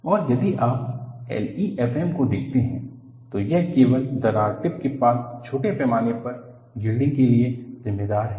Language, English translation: Hindi, And, if you look at L E F M, this accounts only for small scale yielding near the crack tip